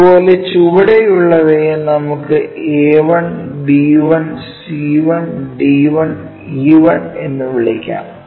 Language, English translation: Malayalam, Similarly, at the bottom ones let us call A 1, B 1, C 1, D 1, and E 1